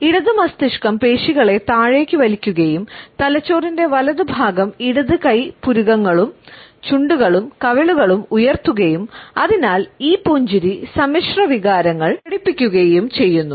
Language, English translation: Malayalam, The left brain pulls the muscles downwards and the right side of the brain raises the left hand side eyebrows as well as the lips and cheeks and therefore, this smile expresses mixed emotions